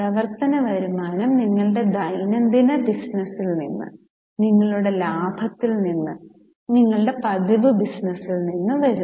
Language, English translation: Malayalam, Operating revenue comes from your day to day business, from your profits, from your regular business